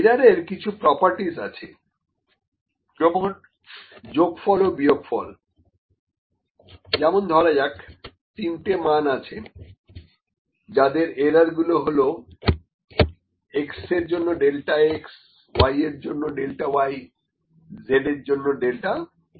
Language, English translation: Bengali, So, error has such an properties the sum or difference for instance if there are 3 values for which the error is such as, for x the error is delta x, for y the error is delta y, and for z the error is delta z